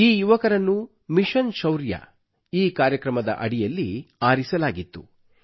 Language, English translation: Kannada, These young boys & girls had been selected under 'Mission Shaurya'